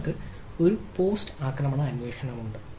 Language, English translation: Malayalam, if there is a attack, then post attack investigation